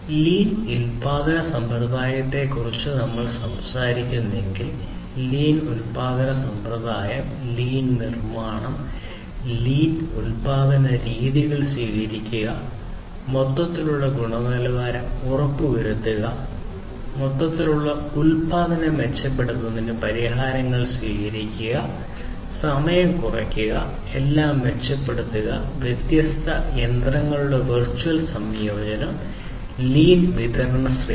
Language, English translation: Malayalam, So, these are the different components of the lean production system, lean manufacturing, lean manufacturing, adopting lean manufacturing methods, ensuring total quality management, then adoption of it solutions to improve the overall production, reducing time improve improving upon everything in fact, virtual integration of different machinery, and so on, having a lean supply chain